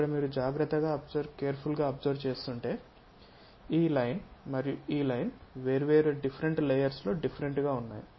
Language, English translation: Telugu, Here if you are noting carefully, this line and this one are different at different layers